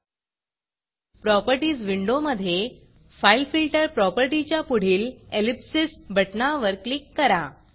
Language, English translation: Marathi, In the Properties window, click the ellipsis button next to the fileFilter property